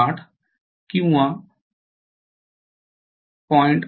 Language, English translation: Marathi, 8 or 0